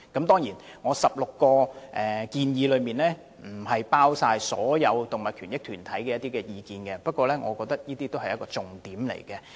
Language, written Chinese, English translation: Cantonese, 當然，這16項建議亦未必包括所有動物權益團體的意見，不過我認為修正案內容已涵蓋各個重點。, Of course these 16 suggestions may not cover the views of all animal rights groups but I think the contents of my amendment are comprehensive enough